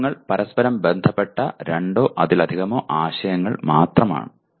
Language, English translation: Malayalam, Principles are nothing but concepts related to each other, two or more concepts related to each other